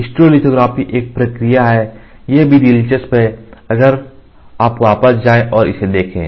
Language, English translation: Hindi, Stereolithography is a process, it is also interesting if you go back and look at it